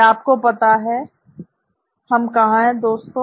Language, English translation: Hindi, You know where we are folks